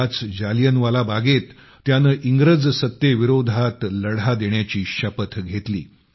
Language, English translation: Marathi, At Jallianwala Bagh, he took a vow to fight the British rule